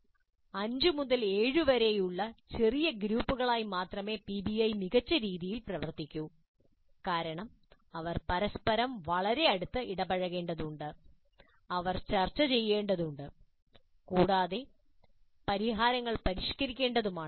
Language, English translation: Malayalam, PBI works best only with small groups about 5 to 7 because they need to interact very closely with each other and they need to discuss and they need to refine the solution